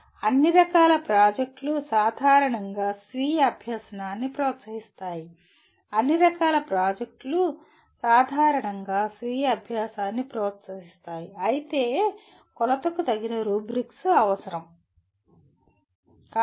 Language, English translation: Telugu, Projects of all kinds generally promote self learning, projects of all kinds generally promote self learning, but appropriate rubrics are necessary for measurement